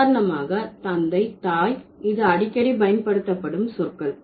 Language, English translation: Tamil, For example father, mother, so these are most frequently used terms